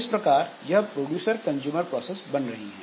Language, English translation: Hindi, So the producer consumer process